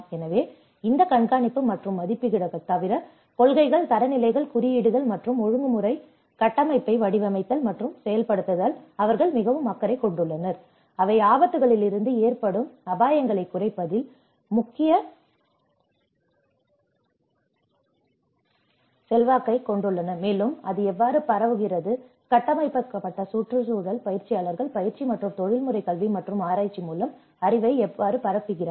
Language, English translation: Tamil, So, apart from this monitoring and assessments, they also are very much concerned with the designing and implementing the policies, standards, codes and the regulatory frameworks which have a crucial influence on reducing the risks from the hazards and apart from the dissemination part how this built environment practitioners, how they disseminate the knowledge with the training and the professional education and the research